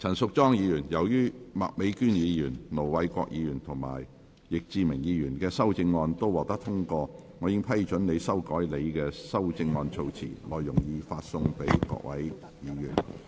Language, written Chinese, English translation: Cantonese, 陳淑莊議員，由於麥美娟議員、盧偉國議員及易志明議員的修正案獲得通過，我已批准你修改你的修正案措辭，內容已發送各位議員。, Ms Tanya CHAN as the amendments of Ms Alice MAK Ir Dr LO Wai - kwok and Mr Frankie YICK have been passed I have given leave for you to revise the terms of your amendment as set out in the paper which has been issued to Members